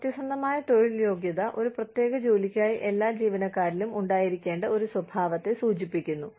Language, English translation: Malayalam, Bona fide occupational qualification, refers to a characteristic, that must be present for, in all employees, for a particular job